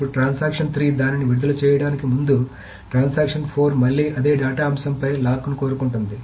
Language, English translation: Telugu, Now before transaction 3 releases it, transaction 4 again wants the same lock on the same data item